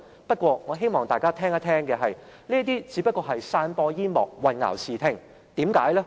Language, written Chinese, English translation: Cantonese, 不過，我希望大家聽聽，這些只是散播煙幕、混淆視聽。, Yet please listen to me he is putting up a smokescreen and obscuring the fact